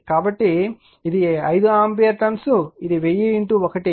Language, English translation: Telugu, So, this is 5 ampere ton this is 1000 into 1